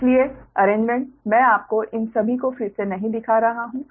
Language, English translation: Hindi, so alignment, i am not showing you again redrawing all these